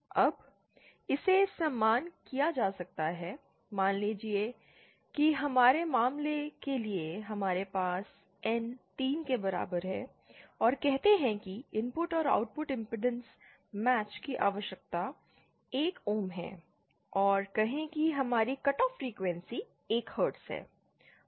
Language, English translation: Hindi, Now, this can be equated as Suppose say for our case we have N equal to 3 and say have input and output impedance match required is 1 ohm and say our cut off frequency is 1 Hz